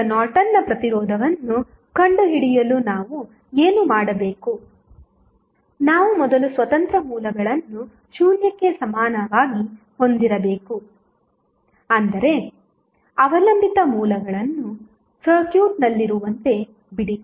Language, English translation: Kannada, Now, what we have to do to find out the Norton's resistance, we have to first set the independent Sources equal to 0, but leave the dependent sources as it is in the circuit